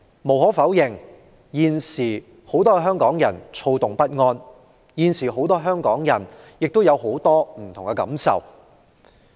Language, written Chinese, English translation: Cantonese, 無可否認，很多香港人現在躁動不安，各有許多不同感受。, Undoubtedly many Hong Kong people have grown restless and we may each have different feelings